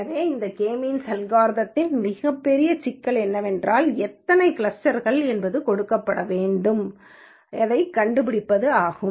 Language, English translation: Tamil, So, biggest problem with this K means algorithm is to figure out what number of clusters has to be given